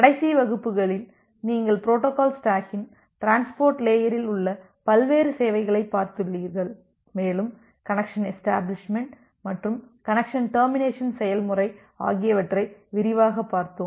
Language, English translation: Tamil, So, in the last classes you have looked various services in transport layer of the protocol stack, and we have looked into in details the connection establishment and the connection termination procedure